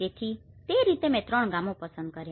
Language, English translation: Gujarati, So in that way, I have selected three villages